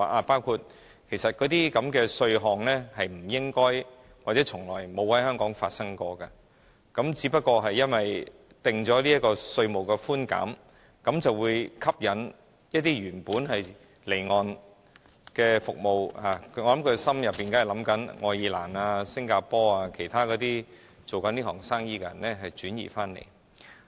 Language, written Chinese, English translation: Cantonese, 包括那些稅項不應或從沒有在香港發生，只不過因為政府定出了稅務寬減，便會吸引一些原本離岸的服務——我猜政府一定想愛爾蘭、新加坡等經營此行業的公司轉移來港。, According to the Government it is because of these tax concessions that companies which were offshore companies previously will be attracted to Hong Kong . I guess the Government must be eyeing those companies in such markets as Ireland and Singapore trying to lure them to Hong Kong